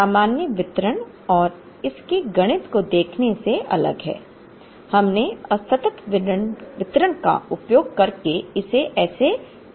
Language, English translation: Hindi, Assuming the normal distribution and the mathematics of it is very different from looking at how we solved it using the discrete distribution